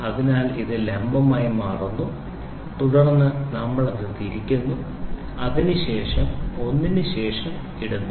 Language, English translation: Malayalam, So, it is becoming perpendicular then we rotate it and then we put it one after it